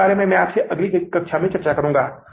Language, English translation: Hindi, So that income statement we will prepare in the next class